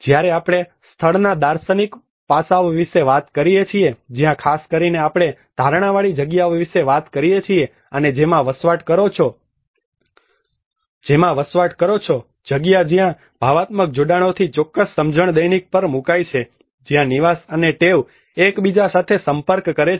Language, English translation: Gujarati, When we talk about the philosophical aspect of place, where especially we talk about the perceived space, and the lived space where certain sense of emotional attachments place on the daily where the habitat and habits interact with each other